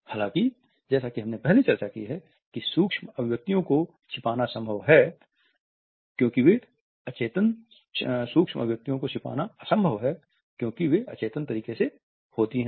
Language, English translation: Hindi, However, as we have discussed earlier it is perhaps impossible to conceal them and they occur in an unconscious manner